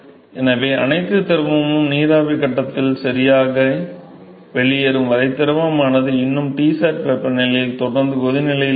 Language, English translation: Tamil, Until all the fluid now heated and converted into vapor phase, the fluid will continue to be in at Tsat temperature